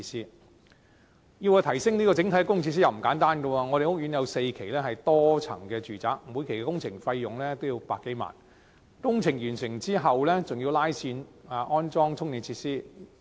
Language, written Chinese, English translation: Cantonese, 然而，要提升整體的供電設施亦不簡單，我們的屋苑有4期為多層住宅，每期工程費用也要100多萬元，而工程完成後還要再拉線安裝充電設施。, However upgrading the overall power supply facilities is never simple . Our housing estate has four phases of multi - storey residential flats and each stage of the project will cost more than 1 million while the electrical cords will have to be further connected so that the charging facilities can be installed upon completing the project